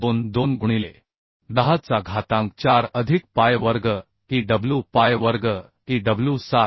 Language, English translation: Marathi, 22 into 10 to the 4 plus pi square E Iw pi square E Iw 7